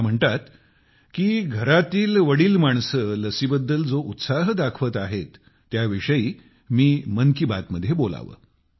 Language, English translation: Marathi, She urges that I should discuss in Mann ki Baat the enthusiasm visible in the elderly of the household regarding the vaccine